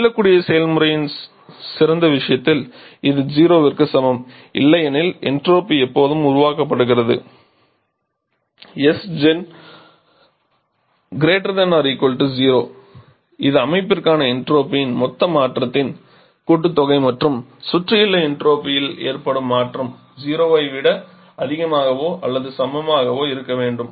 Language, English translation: Tamil, In the ideal case of reversible process it is equal to zero otherwise entropy is always getting generated that is the total change in entropy for the system + change in entropy for the surrounding this combination has to be equal to zero